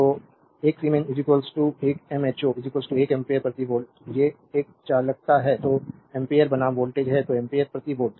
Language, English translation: Hindi, So, 1 siemens is equal to 1 mho is equal to 1 ampere per volt, these a conductance i is the ampere v is the volt so, ampere per volt